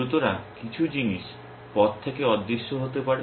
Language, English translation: Bengali, So, some things might vanish from the way